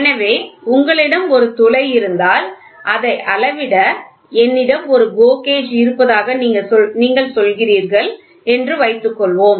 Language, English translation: Tamil, So, suppose if you have a hole you have a hole and if you are saying that I have a GO gauge